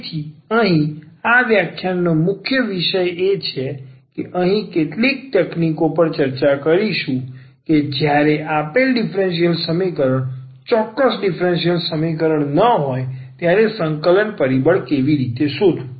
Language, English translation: Gujarati, So, here the main topic of this lecture is we will discuss some techniques here how to find integrating factor when a given differential equation is not exact differential equation